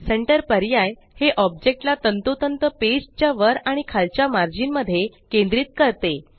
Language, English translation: Marathi, The option Centre centres the object exactly between the top and bottom margins of the page